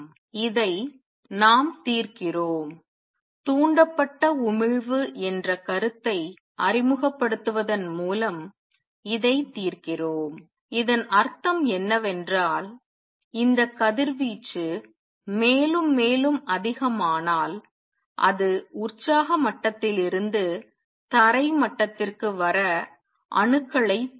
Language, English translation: Tamil, We resolve this, resolve this by introducing the concept of stimulated emission and what that means, is that this radiation which is there if it becomes more and more it will also stimulate atoms to come down from a exited level to ground level